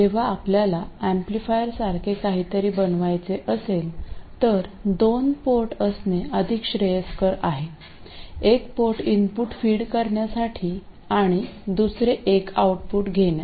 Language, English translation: Marathi, When we want to make something like an amplifier, it is preferable to have two ports, one port to feed the input and another one to take the output from